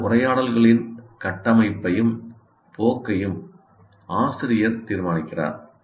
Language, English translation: Tamil, Teacher determines the structure and direction of these conversations